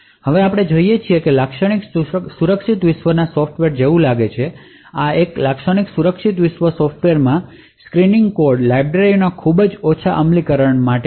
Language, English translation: Gujarati, We now look at how a typical secure world software looks like, a typical secure world software would have implementations of very minimalistic implementations of synchronous code libraries